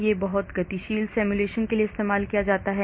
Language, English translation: Hindi, it can be used for lot of dynamic simulations